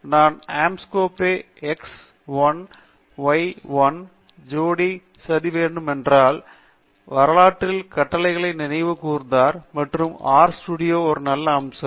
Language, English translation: Tamil, For example, if I would, if I want to plot the Anscombe x 1 y 1 pair, then I could, I am just recalling the commands that I have in my history and thatÕs a nice feature of R studio